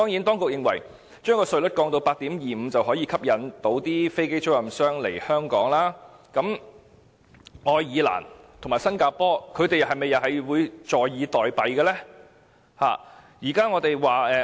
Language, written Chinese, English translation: Cantonese, 當局認為，將稅率降至 8.25%， 便可以吸引飛機租賃商來港，可是，愛爾蘭和新加坡又會否坐以待斃呢？, The authorities think that a simple tax cut to 8.25 % is sufficient to attract aircraft leasing operators to Hong Kong . But do you think Ireland and Singapore will sit and await their doom?